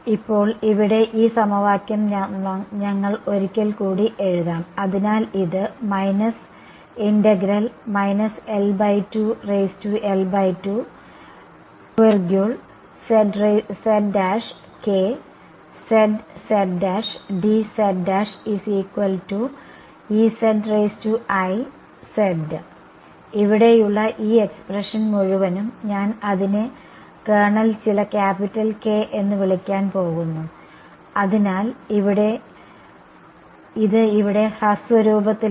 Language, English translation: Malayalam, Now, this equation over here we will just write it once again so, this I of z, z prime that is appearing over here, sorry I of z prime and this whole expression over here I am going to call it the kernel some capital K so, this has become this is in short form over here